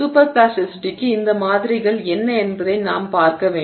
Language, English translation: Tamil, Now we need to look at what are these models for super plasticity